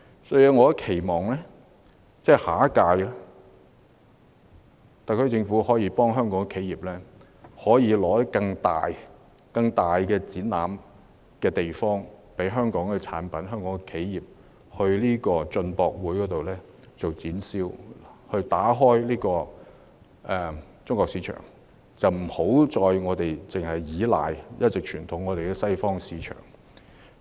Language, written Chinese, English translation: Cantonese, 因此，我期望特區政府在下一屆進口博覽可以協助香港企業爭取更大的展覽場地，讓香港企業可以展銷其產品，打開中國市場，而我們亦不應再依賴傳統的西方市場。, Therefore I hope that the SAR Government can help Hong Kong enterprises to get more exhibition space to showcase their products in the next CIIE so as to tap the China market instead of relying on the traditional Western markets